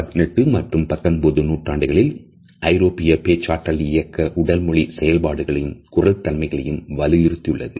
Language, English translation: Tamil, In the 18th and 19th centuries we find that the European elocution movement also emphasized on the body movements and vocalizations